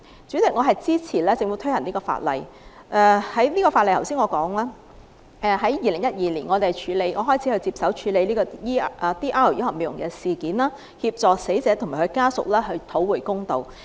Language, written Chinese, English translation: Cantonese, 主席，我支持政府推行相關法例修訂，正如我剛才所說，在2012年，我開始接手處理 DR 醫學美容集團毒血針事件，協助死者和死者家屬討回公道。, President I support the Governments implementation of the related legislative amendment . As I just said I handled the DR poisonous infusion incident in 2012 and assisted the deceased victim and her family to seek justice